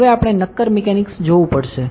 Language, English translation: Gujarati, Now, we have to see solid mechanics